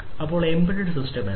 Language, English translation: Malayalam, So, what is an embedded system